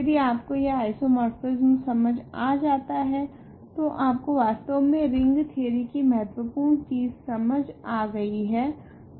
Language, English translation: Hindi, If you understand this isomorphism you really have understood important things about ring theory